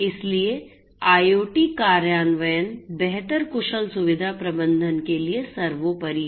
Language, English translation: Hindi, So, IoT implementation is paramount for improved efficient facility management